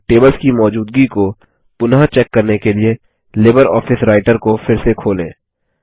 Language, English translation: Hindi, And reopen LibreOffice Writer to check the tables availability again